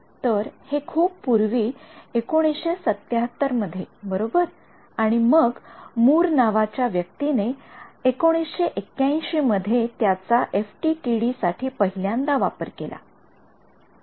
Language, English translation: Marathi, So, this is way back 1977 right and then you had a person by the name of Mur applied it to FDTD for the first time in 1981 ok